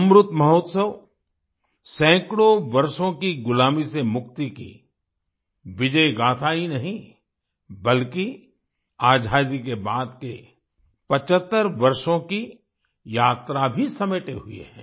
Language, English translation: Hindi, The Amrit Mahotsav not only encompasses the victory saga of freedom from hundreds of years of slavery, but also the journey of 75 years after independence